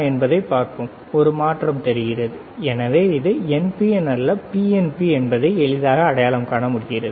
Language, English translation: Tamil, Let us see, there is a change; So, easy to identify whether it is NPN or PNP, all right